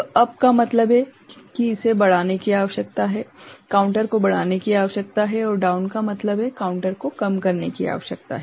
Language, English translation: Hindi, So, up means it need to be increased counter need to be increased and down means counter need to be decreased right